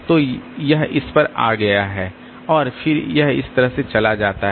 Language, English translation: Hindi, So, it has come to this and then it goes like this